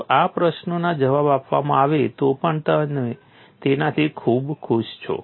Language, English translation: Gujarati, Even these questions are answered, you are quite happy with it